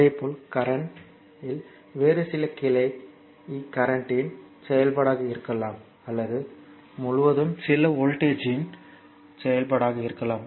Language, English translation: Tamil, Similarly, this current is may be the function of some other branch current in the circuit or may be function of some voltage across the, your circuit